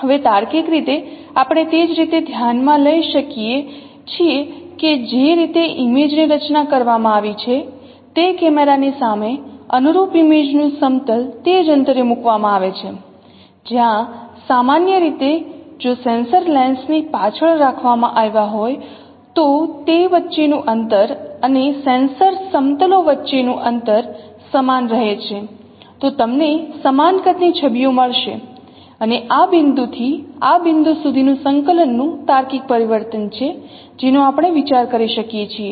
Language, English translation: Gujarati, Now logically we can consider also the in the same way of image has been formed in the front of the camera where the corresponding image plane is placed at the same distance where the usually the sensors were placed behind the lens, the distance between that plane of sensors, that distance if I keep it same, then you will get the images of the same size and there is a logical transformation of coordinates from this point to this point that we can consider